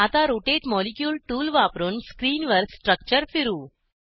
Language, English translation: Marathi, Now, rotate the structure on screen using the Rotate molecule tool